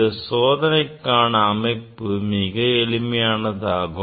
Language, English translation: Tamil, this is the experimental setup is very simple